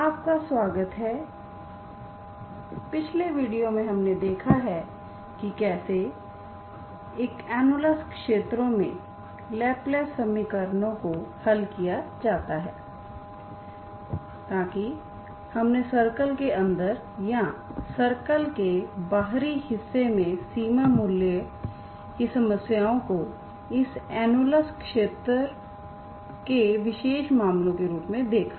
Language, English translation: Hindi, In the last video we have seen how to solve Laplace equation in an annulus region so that you have seen the boundary boundary problems inside a circle or exterior of the circle as a special cases of this annulus region